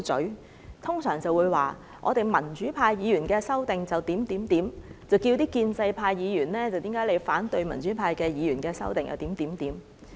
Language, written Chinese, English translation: Cantonese, 他們通常會說我們民主派議員的修訂是怎樣怎樣，然後問建制派議員為何反對民主派議員的修訂。, Usually they will describe their amendments as amendments of the pro - democracy camp and then go on to ask us pro - establishment Members why we oppose the amendments of the pro - democracy camp